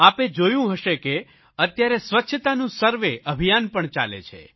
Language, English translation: Gujarati, You might have seen that a cleanliness survey campaign is also carried out these days